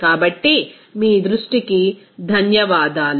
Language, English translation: Telugu, So, thank you for your attention